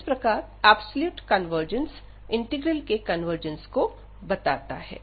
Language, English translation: Hindi, So, absolute convergence implies the convergence of the integral